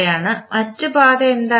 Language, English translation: Malayalam, What can be the other path